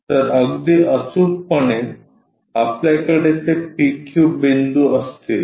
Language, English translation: Marathi, So, precisely on the square we will have that PQ point